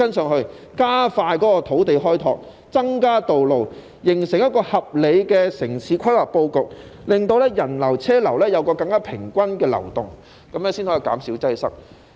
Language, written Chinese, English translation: Cantonese, 政府應加快土地開拓，增加道路，形成一個合理的城市規劃布局，令人流和車流有更平均的流動，這樣才可以減少擠塞。, The Government should expedite land development and build more roads to form a reasonable urban planning layout so that the flow of people and that of vehicles will be more even . Only in this way can traffic congestion be abated